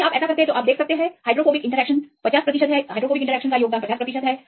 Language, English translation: Hindi, If you do this then you can see approximately the hydrophobic interactions contribute to 50 percent